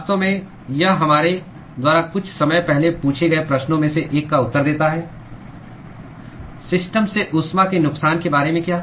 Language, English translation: Hindi, In fact, that answers one of the questions we asked a short while ago; what about heat loss from the system